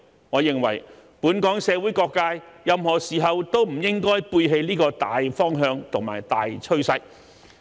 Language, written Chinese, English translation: Cantonese, 我認為，本港社會各界任何時候都不應背棄這個大方向和大趨勢。, In my opinion all sectors of the Hong Kong community should not deviate from this general direction and trend at any time